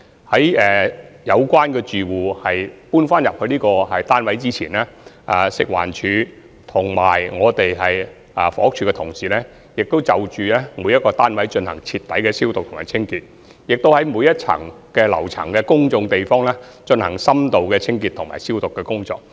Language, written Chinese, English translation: Cantonese, 在有關住戶遷回單位前，食物環境衞生署及房屋署同事，已對每個單位進行徹底消毒及清潔，以及在每個樓層的公眾地方，進行深度清潔及消毒工作。, Before residents moved back into their units colleagues from the Food and Environmental Hygiene Department FEHD and the Housing Department had performed thorough disinfection and cleansing for all units . In - depth cleansing and disinfection of the public areas on each floor have also been conducted